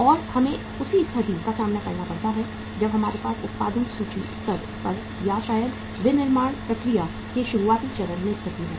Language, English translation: Hindi, And we have to face the same situation as we have the situation at the opening inventory level or maybe at the beginning stage of the manufacturing process